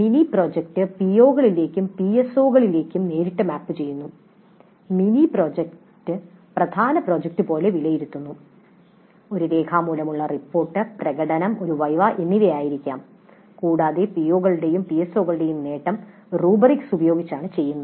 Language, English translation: Malayalam, Mini project is directly mapped to POs and PSOs and the mini project is evaluated as the main project, maybe a written report, demonstration, a VEBA and the attainment of POs and PSOs is done using rubrics and the mini project is evaluated in total using rubrics